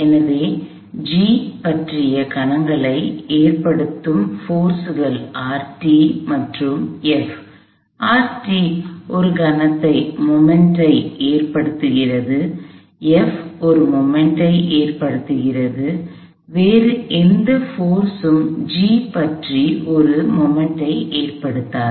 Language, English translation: Tamil, So, the forces that cause moments about G or R t and F, R t causes a moment, F causes a moment, no other force causes a moment about G